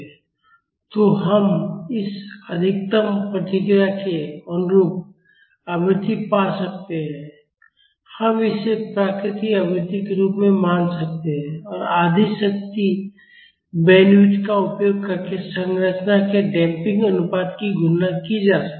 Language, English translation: Hindi, So, we can find the frequency corresponding to this maximum response, we can consider it as the natural frequency and the damping ratio of the structure can be calculated using the property of half power bandwidth